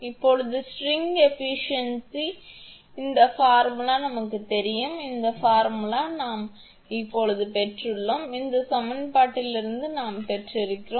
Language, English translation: Tamil, Now, string efficiency this formula we know, this formula we have derived now, we have from this equation